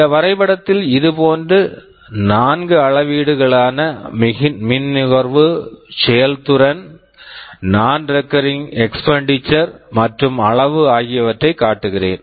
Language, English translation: Tamil, Here in this diagram, I am showing four such metrics, power consumption, performance, non recurring expenditure, and size